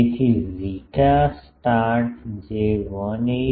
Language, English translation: Gujarati, So, zeta start that will be 181